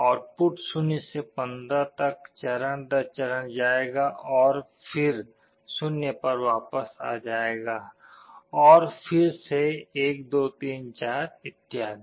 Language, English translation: Hindi, The output will go step by step from 0 to 15 and then again it will go back to 0, again 1 2 3 4 like this